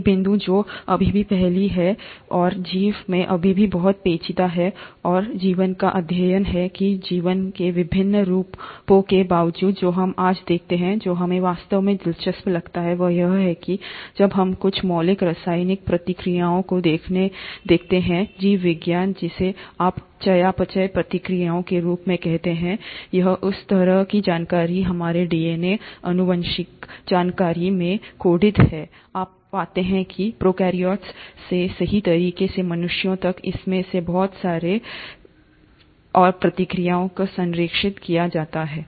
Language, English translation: Hindi, One point which still puzzles, and is still very intriguing in life, and study of life is, that despite the varied forms of life that we see today, what we really find interesting is that when we look at some of the fundamental chemical reactions in biology, what you call as metabolic reactions, or the way the information is coded in our DNA, genetic information, you find that right from prokaryotes all the way till humans, a lot of these informations and the processes are conserved